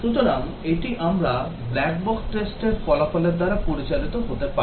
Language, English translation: Bengali, So, this we might get guided by the black box testing result